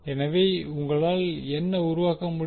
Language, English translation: Tamil, So what you can create